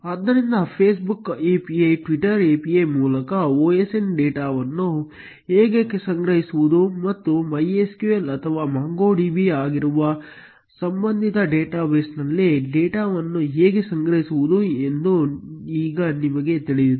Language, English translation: Kannada, So, now we know how to collect OSN data via Facebook API, Twitter API and store the data either into a relational database that is MySQL or a non relational database that is MongoDB